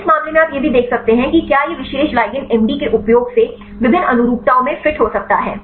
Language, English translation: Hindi, In this case also you can see whether this particular ligand can fit at the different conformations using MD